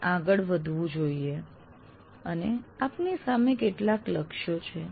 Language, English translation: Gujarati, So you have to move on and you have some goals to reach